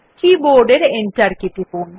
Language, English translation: Bengali, Press the Enter key on the keyboard